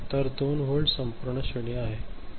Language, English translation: Marathi, So, 2 volt is the entire range right